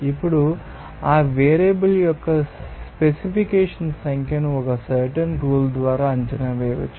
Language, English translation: Telugu, Now, that specification number of that variable can be estimated by a certain rule